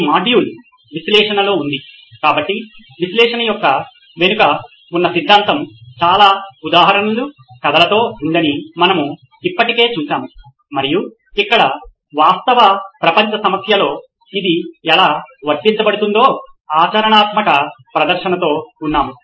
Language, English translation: Telugu, This module is on analyse, so we already saw what theory behind analyse was with lots of examples, stories and so here we are with the practical demonstration of how it is applied in a real world problem